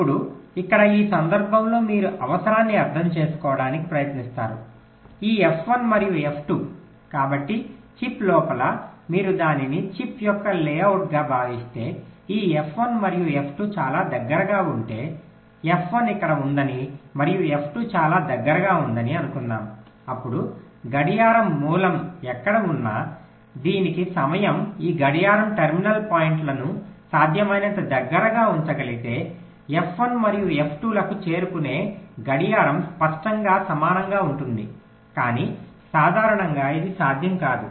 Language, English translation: Telugu, so if inside a chip, if you consider this as the layout of the chip, if this, this f one and f two are very close together lets say f one is here and f two is very close together then wherever the clock source is, the, the time taken for the clock to reach f one and f two will obviously be approximately equal if we are able to keep this clock terminal points as close as possible